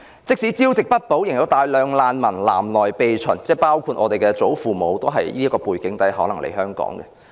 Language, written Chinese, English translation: Cantonese, 即使朝不保夕，仍有大量難民南來避秦，當中包括我們的祖父母，他們可能也是在這樣的背景下來港。, Many refugees fled to Hong Kong despite its insecurity including my grandparents who might have come to Hong Kong under such circumstances